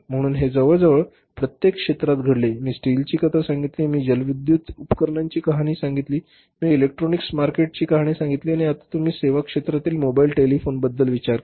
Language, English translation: Marathi, I told you the story of steel, I told you the story of say this hydroelectric equipments, I told you the story of the electronics market and now you think about in the services sector the mobile telephony